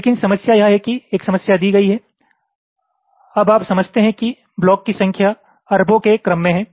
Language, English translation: Hindi, but the problem is that, given a problem, now you understand that the number of blocks are in the order of billions